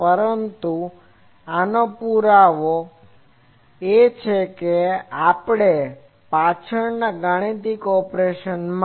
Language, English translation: Gujarati, But this is the proof actually, this mathematical operation is behind this